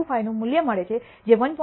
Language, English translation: Gujarati, 25 which is greater than 1